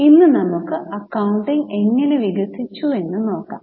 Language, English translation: Malayalam, Today let us look at how the accounting evolved